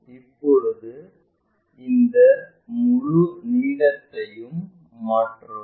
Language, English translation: Tamil, Now transfer this entire length